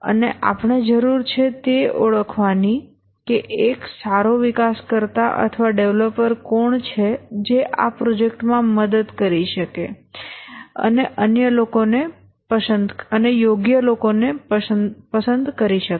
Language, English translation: Gujarati, And we need to identify who is a good developer who can help the project and select the right people